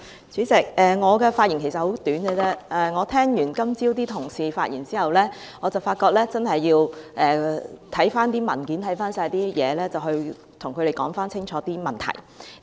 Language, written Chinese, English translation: Cantonese, 主席，我的發言很簡短，我今早聽罷同事的發言，發覺真的要看回文件，然後跟他們弄清楚問題。, President I will be very brief . This morning after listening to some Members speeches I found that we really have to read some documents in order to clarify the questions with them